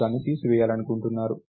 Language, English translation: Telugu, You want to remove it